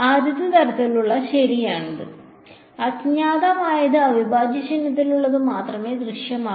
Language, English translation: Malayalam, First kind right, there is the unknown is appearing only inside the integral sign